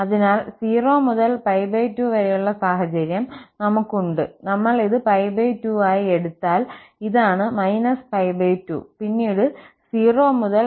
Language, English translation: Malayalam, So, we have the situation that from 0 to pi by 2, if we take this as pi by 2 and this is minus pi by 2 then from 0 to pi by 2, it is cos x